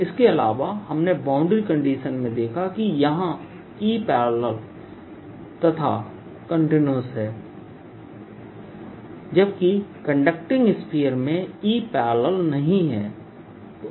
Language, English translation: Hindi, in addition, we saw in the boundary condition that e parallel out here is also continuous, whereas there is no e parallel in conducting sphere